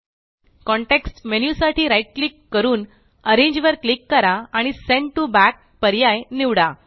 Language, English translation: Marathi, Right click for the context menu, click Arrange and select Send to Back